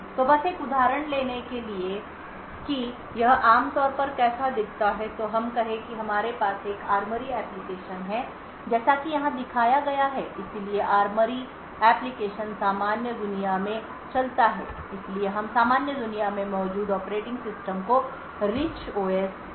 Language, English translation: Hindi, So just to take an example of how it would typically look like so let us say we have an ARMORY application as shown over here so the ARMORY application runs in the normal world so we call the operating system present in the normal world as the Rich OS